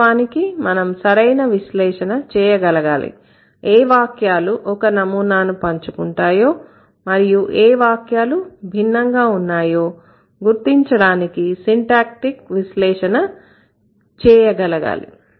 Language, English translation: Telugu, Rather, we should be able to do a proper analysis, in fact, syntactic analysis to identify which sentences shared or pattern and which sentences are different quite a lot